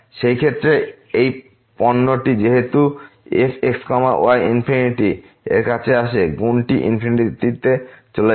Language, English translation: Bengali, In that case, this product since is approaching to infinity; the product will go to infinity